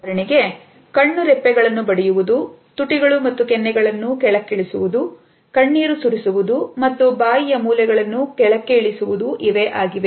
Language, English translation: Kannada, For example, dropping eyelids, lowered lips and cheeks, formation of tears and corners of the mouth dropping downwards